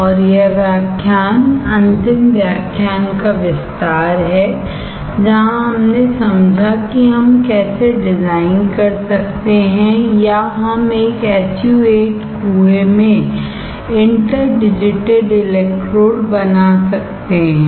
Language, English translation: Hindi, And, this lecture is continuation of the last lecture where we understood how we can design or we can fabricate interdigitated electrodes in an SU 8 well